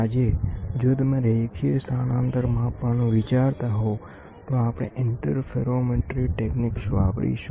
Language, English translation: Gujarati, Today if you want to measure the linear displacement, we use interferometry techniques to measure